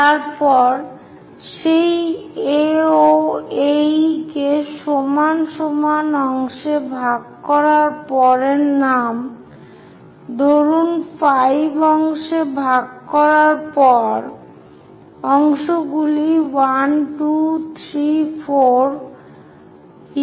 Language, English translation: Bengali, Then name after dividing that AO, AE into same number of equal parts, let us say 5